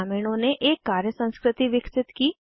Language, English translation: Hindi, Villagers developed a work culture